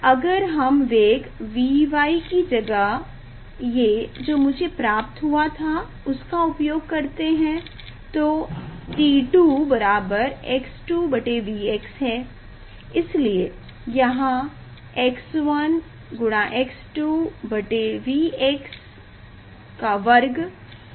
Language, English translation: Hindi, if we use Y 1 is where I got this one and V y is this one and then t 2 is x 2 by V x, so here x 1 x 2 by V x square